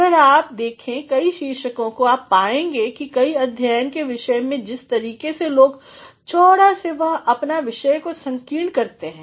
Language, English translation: Hindi, If you have a look at several titles you will find that in several disciplines the way people from the broad they make their topic narrow